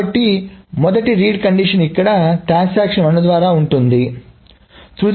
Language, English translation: Telugu, So the initial read conditions is by transaction 1 here and transaction 1 here